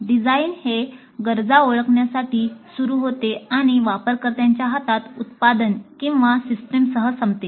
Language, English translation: Marathi, The design begins with identification of a need and ends with the product or system in the hands of a user